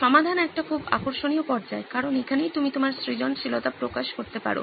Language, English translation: Bengali, Solve is a very interesting stage because this is where you unleash your creativity